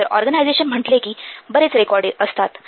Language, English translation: Marathi, So within organization, there are many records